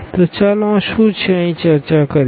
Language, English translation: Gujarati, So, what exactly this let us discuss here